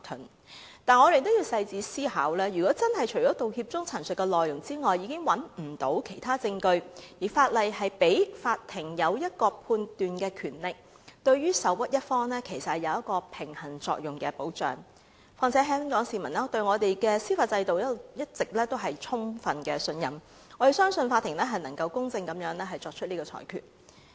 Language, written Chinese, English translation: Cantonese, 可是，我們也要仔細思考，如果真的除了道歉時陳述的內容外，已找不到其他證據，而法例賦予法庭作出判斷的權力，對於受屈一方其實有平衡作用的保障；況且香港市民一直充分信任我們的司法制度，我們相信法庭能夠作出公正的裁決。, That said we have to think carefully . Say if there is truly no other evidence except the statement of fact contained in an apology and that the law confers the power to the court for making such discretion this arrangement in fact offers a balance of protection to the aggrieved side . Moreover Hong Kong people fully trust the judicial system all along